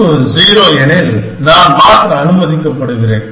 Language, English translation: Tamil, If the value is 0, I am allowed to change